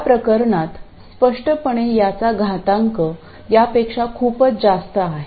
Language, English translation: Marathi, In this case clearly the exponential of this is much more than this